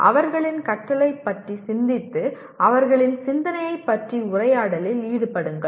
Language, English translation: Tamil, Reflect on their learning and engage in conversation about their thinking